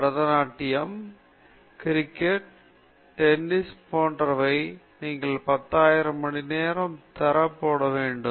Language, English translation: Tamil, Bharatanatyam, cricket, tennis whatever, you have to put in 10,000 hours of quality time before you can make a mark okay